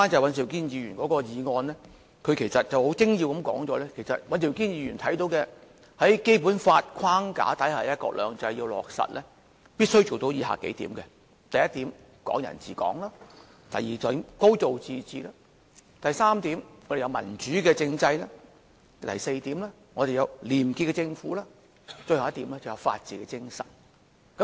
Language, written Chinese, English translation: Cantonese, 尹兆堅議員的議案其實很精要地指出，在《基本法》的框架之下落實"一國兩制"必須做到以下數點：第一點，"港人治港"；第二點，"高度自治"；第三點，要有民主政制；第四點，要有廉潔政府，而最後一點是法治精神。, In fact Mr Andrew WANs motion has succinctly pointed out that the implementation of one country two systems within the Basic Law framework must achieve the following Firstly Hong Kong people administering Hong Kong; secondly a high degree of autonomy; thirdly a democratic political system; fourthly a clean government; and last but not least the spirit of the rule of law